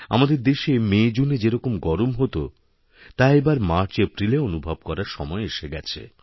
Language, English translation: Bengali, The heat that we used to experience in months of MayJune in our country is being felt in MarchApril this year